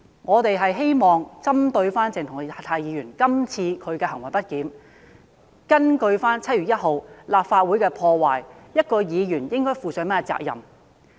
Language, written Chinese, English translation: Cantonese, 我們只是希望針對鄭松泰議員今次的行為不檢，基於7月1日立法會被破壞一事，討論一位議員應該負上甚麼責任的問題。, In respect of Dr CHENG Chung - tais misbehaviour and the havoc wrought on the Legislative Council Complex on 1 July we only wish to discuss what responsibility a certain Member should take